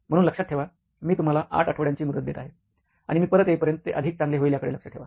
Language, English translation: Marathi, So remember, I am giving you an 8 week deadline and it better be done, by the time I get back